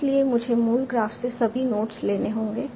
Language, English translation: Hindi, So, I will have to take all the nodes from the original graph